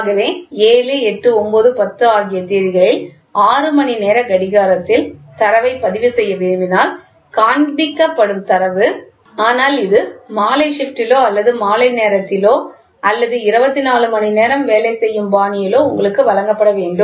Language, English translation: Tamil, So, the shown data suppose if you want to record the data at 6 o clock in the morning, 7, 8, 9, 10 and this has to be given to you at the evening shift or at the evening hours or with working style for 24 hours